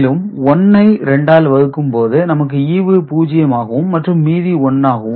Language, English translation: Tamil, So, earlier when 10 was divided by 2, 5 remainder was 0 this time when it is divided, remainder is 1